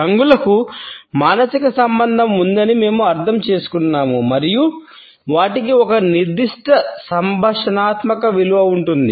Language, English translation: Telugu, We understand that colors have a psychological association and they have thus a certain communicative value